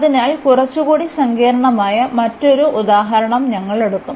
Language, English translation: Malayalam, So, we will take another example of little more slightly more complicated